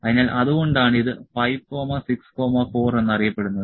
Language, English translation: Malayalam, So, that is why it is known as 5, 6, 4